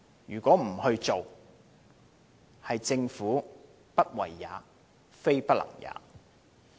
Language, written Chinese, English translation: Cantonese, 如果政府不做，政府是不為也，非不能也。, The Governments failure to do so is a result of unwillingness not inability